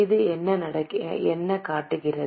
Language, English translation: Tamil, What does it show